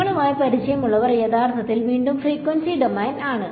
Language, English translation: Malayalam, Those of you who are familiar with it is actually frequency domain again